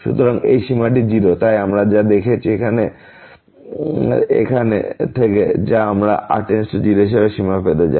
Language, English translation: Bengali, So, this limit is 0 so, what we see that this from here which we want to get the limit as goes to 0